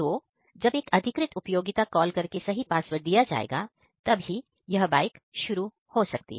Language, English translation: Hindi, So, when the authorized user will call he will give the right password and he will ride the bike